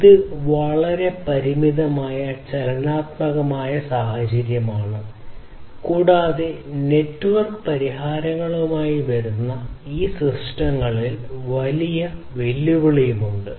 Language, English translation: Malayalam, So, as you can understand it is a highly constraint dynamic kind of scenario and coming up with networking solutions is a huge challenge in these in these systems